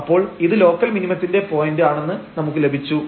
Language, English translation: Malayalam, So, we got this point of local minimum